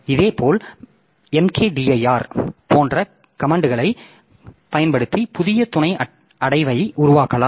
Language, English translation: Tamil, Similarly you can create a new sub directory by making using a command something like mkDIR